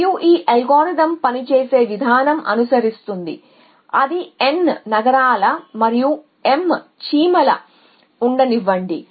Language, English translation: Telugu, And the way that is algorithms works is follows that let they we N cities and let they we M ants